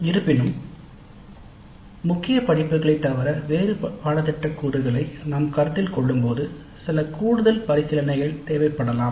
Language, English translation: Tamil, However, some additional considerations may be necessary when we consider curricular components other than the core courses